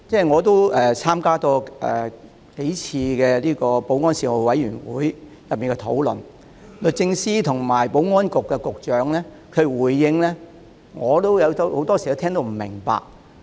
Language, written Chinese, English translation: Cantonese, 我亦曾參加保安事務委員會數次討論，律政司司長和保安局局長所作的回應我很多時也聽不明白。, I have taken part in the discussions held at the Panel on Security several times . More often than not I did not understand the responses given by the Secretary for Justice and the Secretary for Security